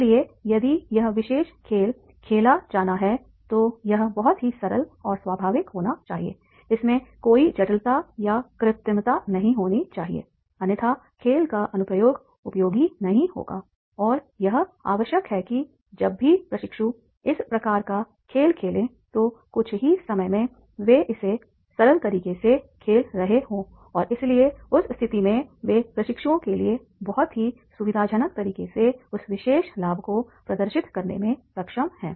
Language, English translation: Hindi, There should not be any complexity or the artificial, otherwise the application of the game that will not be useful and it is required that whenever the trainees, when they play this type of the game, then in a short period of time they are playing it in a simple way and therefore in that case they are able to demonstrate that particular game in a very, very convenient way to the trainees